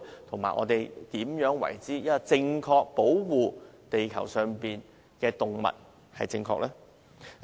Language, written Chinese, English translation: Cantonese, 怎樣才可以正確地保護地球上的動物？, What is the proper way of protecting animals on earth?